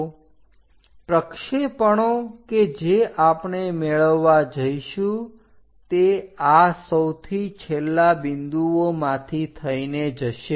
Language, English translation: Gujarati, So, the projection projections what we are going to get here goes via these bottom most points